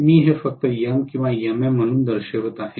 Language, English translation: Marathi, I am going to show this as M and MM simply